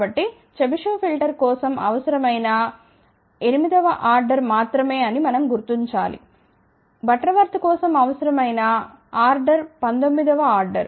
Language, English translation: Telugu, So, we noted that for the chebyshev filter the order required was only 8th order whereas, for Butterworth the order required was 19th